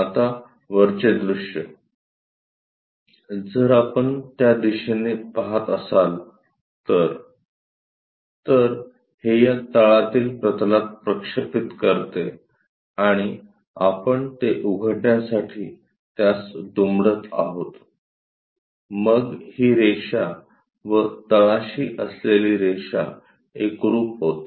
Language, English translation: Marathi, Now, top view, if we are looking from that direction; so, it projects onto this bottom plane and we are folding it to open it, then this line and the bottom one coincides